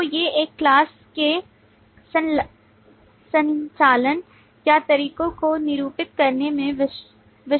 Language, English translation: Hindi, So these are the typical ways to denote the operations or methods of a class